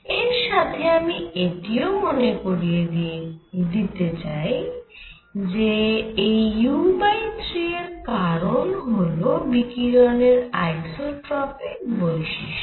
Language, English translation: Bengali, So, let me just point out u by 3 is due to isotropic nature of radiation